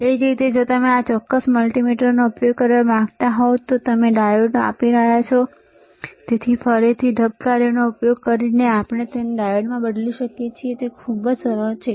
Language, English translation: Gujarati, Same way, if you want to use this particular multimeter, right and we are measuring the diode; So, again using the mode function, we can change it to diode is very easy